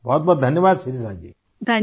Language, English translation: Urdu, Many many thanks Shirisha ji